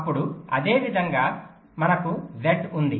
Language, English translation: Telugu, then similarly, we have z, again with two